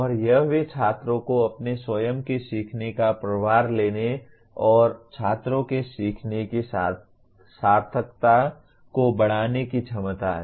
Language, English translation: Hindi, And also it has the potential to empower students to take charge of their own learning and to increase the meaningfulness of students learning